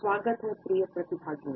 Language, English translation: Hindi, Welcome dear participants